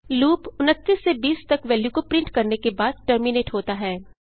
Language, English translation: Hindi, Loop terminates after printing the values from 29 to 20